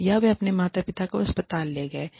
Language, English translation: Hindi, Or, they have taken their parents to the hospital